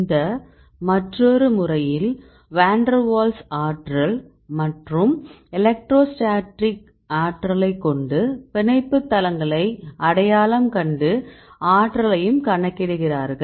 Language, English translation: Tamil, So, mainly they calculate the van der waals energy and electrostatic energy, then using these interactions you can identify the binding sites how do you identify the binding sites